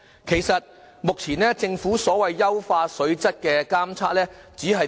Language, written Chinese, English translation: Cantonese, 其實，目前政府所謂優化水質的監測，只做甚麼？, Actually how does the so - called water quality monitoring programme operate?